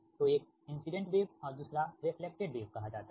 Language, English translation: Hindi, so one is incident wave, another is called the reflected wave right